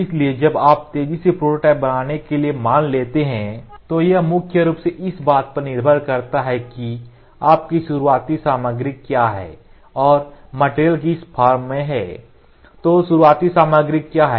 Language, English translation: Hindi, So, when you are rapidly suppose to make prototypes it primarily depends upon, What is your starting material and the next thing is, What is your starting form of material